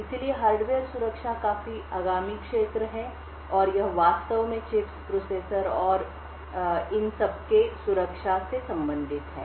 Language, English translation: Hindi, So, Hardware Security is quite an upcoming field and it actually deals with security in chips, processors and so on